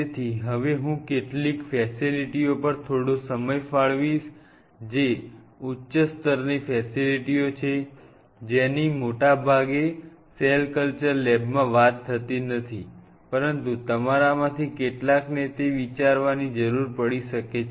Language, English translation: Gujarati, So, now, I will devote a little time on some of the aspects or some of the facilities which are kind of advance level facilities, which most of the time are not being talked in a cell culture lab, but some of you may needed to think in that way too